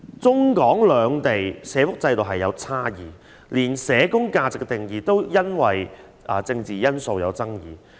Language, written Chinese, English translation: Cantonese, 中港兩地社福制度存在差異，連有關社工價值的定義也因為政治因素而出現爭議。, The social welfare systems operated in Mainland China and Hong Kong are different and because of some political reasons there are also disputes concerning the definition given to the value of social work